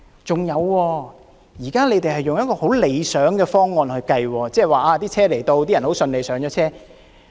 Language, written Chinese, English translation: Cantonese, 再者，現在是用十分理想的情況來作計算，即是列車來到，乘客順利上車。, Moreover the present calculation is based on the ideal condition that passengers are boarding smoothly when the train arrives